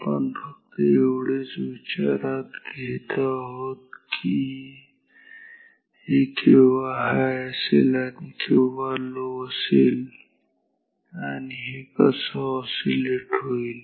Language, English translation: Marathi, We are only considering whether it is when it is high, when it is slow, how will it will oscillate